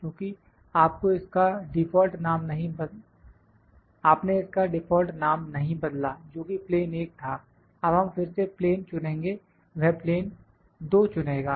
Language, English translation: Hindi, Because, you did not change the name the default name was plane 1, now we will select the plane again it is select plane 2